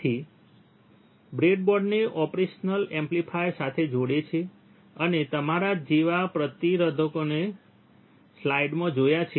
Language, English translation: Gujarati, So, he will be connecting the breadboard along with the operational amplifier, and a resistors like you have seen in the in the slide